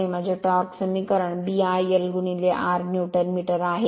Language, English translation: Marathi, So, this is my torque equation B I l into r Newton metre